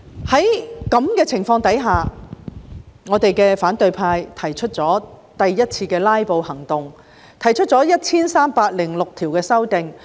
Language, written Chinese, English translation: Cantonese, 在這情況下，反對派進行第一次"拉布"行動，提出了 1,306 項修訂。, Under these circumstances the opposition camp staged its first filibustering campaign and proposed 1 306 amendments